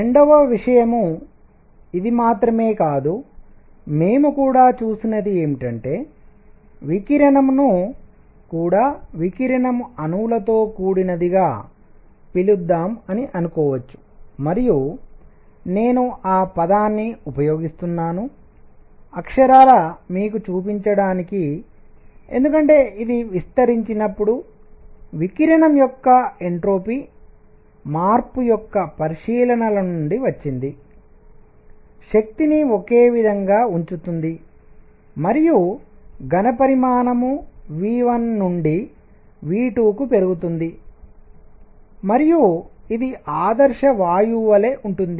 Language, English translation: Telugu, Number 2; not only this, what we also saw is that radiation itself can be thought of as composed of let us call radiation molecules and I am using that term, the literately to show you because it came from the considerations of entropy change of radiation when it expanded, keeping the energy same and the volume increase from v 1 to v 2 and it was the same as an ideal gas